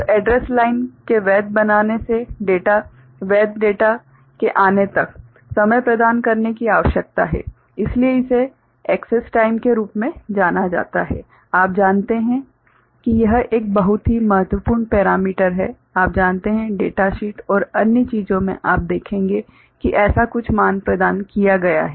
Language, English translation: Hindi, So, from address line being made valid to a valid data comes, the time needs to be provided so, that is known as access time, is a very important parameter of you know you know, data sheet and other things will be able to see that some such value is provided